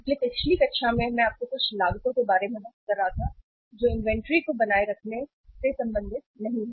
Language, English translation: Hindi, So uh in the previous class I was talking to you about certain costs which are associated to uh maintaining inventory or not maintaining inventory